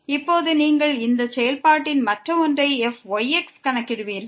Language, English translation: Tamil, Now you will compute the other one of this function